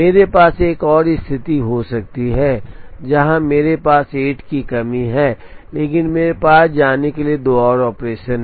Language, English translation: Hindi, I may have another situation where I have a slack of 8, but I have two more operations to go